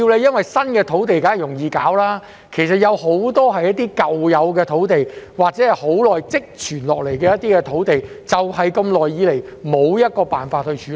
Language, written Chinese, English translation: Cantonese, 因為新批土地當然容易處理，但問題其實很多是在於那些舊有的土地，或積存已久的土地，長久以來也無法處理。, Newly granted land is certainly easy to be tackled . But it is the old land or accumulated cases over a long period of time that are having problems or unable to be tackled